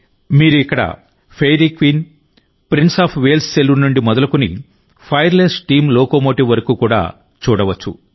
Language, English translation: Telugu, You can also find here,from the Fairy Queen, the Saloon of Prince of Wales to the Fireless Steam Locomotive